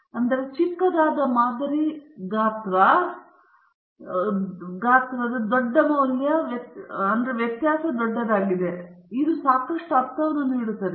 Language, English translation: Kannada, So, the larger the value of the sample size the smaller is the variability, which is also making lot of sense